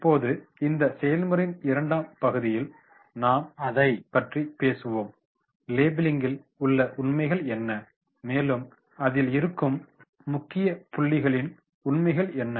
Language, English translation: Tamil, Now the part 2, in this model we will be talking about the labelling, what are the facts in the labelling, the key points are what are the facts